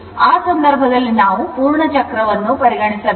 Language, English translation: Kannada, You have to consider the complete cycle